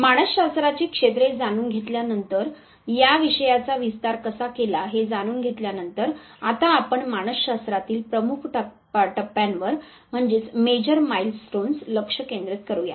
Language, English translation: Marathi, Having known the areas of psychology, having known how this subject matter has finally, and expanded its wings, let us now concentrate on the Major Milestones in Psychology